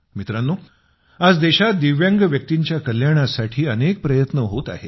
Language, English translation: Marathi, today many efforts are being made for the welfare of Divyangjan in the country